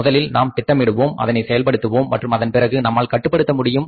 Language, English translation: Tamil, First we will plan execute and only then will control